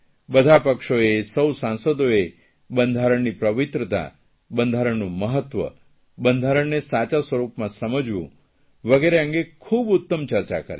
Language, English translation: Gujarati, All the parties and all the members deliberated on the sanctity of the constitution, its importance to understand the true interpretation of the constitution